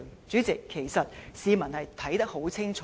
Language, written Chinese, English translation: Cantonese, 主席，其實發生甚麼事，市民是看得很清楚。, President the public can see clearly what has actually happening